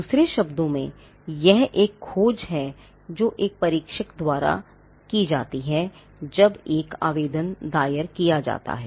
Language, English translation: Hindi, Now in other words, this is a search that is done by an examiner when an application is filed